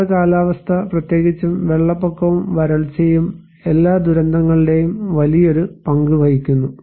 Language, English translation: Malayalam, And it is the hydro meteorological particularly, the flood and drought which play a big share of the all disasters and disaster impacts